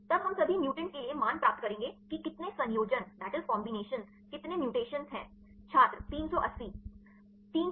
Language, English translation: Hindi, Then we will be we get the values for all the mutants how many combinations how many mutations; 380